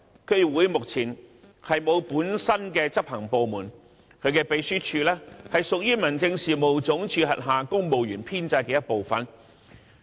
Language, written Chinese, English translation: Cantonese, 區議會目前沒有本身的執行部門，其秘書處屬於民政事務總署轄下公務員編制的一部分。, At present DCs do not have their own executive arm and their secretariats are part of the civil service establishment under HAD